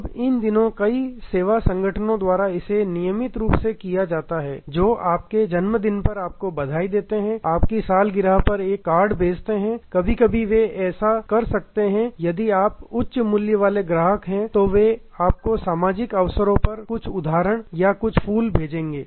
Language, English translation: Hindi, Now a day's many service organizations do it routinely that greet you on your birthday send you a card on your anniversary may be sometimes they will if you are high value customer, they will send you some gift or some flowers on social occasions